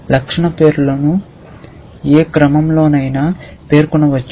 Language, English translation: Telugu, You can specify the attribute names in any order